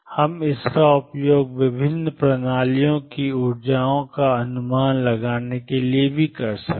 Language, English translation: Hindi, We can use it also to estimate energies of different systems